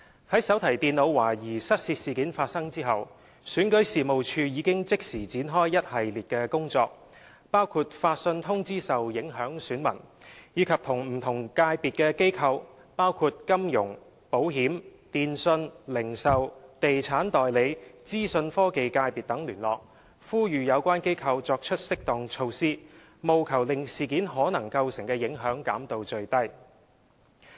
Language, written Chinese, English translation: Cantonese, 在手提電腦懷疑失竊事件發生後，選舉事務處已即時展開一系列工作，包括發信通知受影響選民，以及與不同界別機構，包括金融、保險、電訊、零售、地產代理和資訊科技界別等聯絡，呼籲有關機構作出適當措施，務求令事件可能構成的影響減到最低。, Since the suspected theft of the notebook computers REO has immediately taken a series of actions including notifying affected electors by mail and liaising with organizations belonging to different sectors such as the finance insurance telecommunications retail estate agency and information technology sectors . These organizations were called upon to adopt appropriate measures to minimize the possible impact of this incident . REO has also been keeping in touch with the organizations concerned